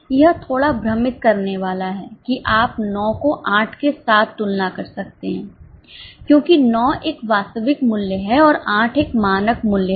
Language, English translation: Hindi, You can compare 9 with 8 because 9 is a actual price and 8 is a standard price